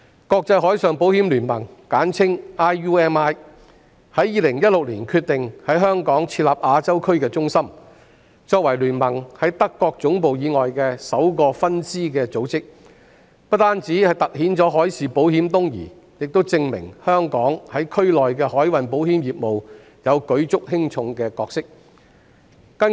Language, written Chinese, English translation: Cantonese, 國際海上保險聯盟在2016年決定在香港設立亞洲區中心，作為聯盟在德國總部以外的首個分支組織，不但凸顯海事保險東移，亦證明香港在區內的海運保險業務擔當舉足輕重的角色。, In 2016 the International Union of Marine Insurance IUMI decided to establish an Asian regional centre in Hong Kong . As this is the first branch of IUMI outside its German headquarters this highlights the eastward movement of maritime insurance and proves that Hong Kong plays a very important role in the maritime insurance business in the region